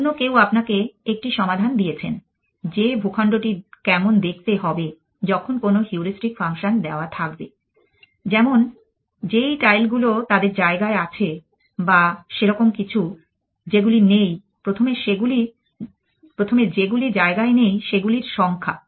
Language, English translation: Bengali, Somebody else gave you a solution how will the terrain look like given some heuristic function like the number of tiles in place or something like that initially the number of tiles out of place